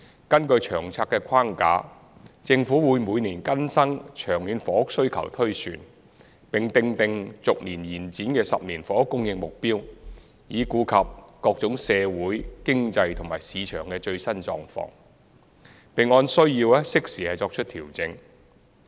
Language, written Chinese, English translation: Cantonese, 根據《長策》的框架，政府會每年更新長遠房屋需求推算，並訂定逐年延展的10年房屋供應目標，以顧及各種社會、經濟和市場的最新狀況，並按需要適時作出調整。, Under the framework of LTHS the Government updates the long - term housing demand projection annually and presents a rolling ten - year housing supply target to capture the latest social economic and market changes and make timely adjustments where necessary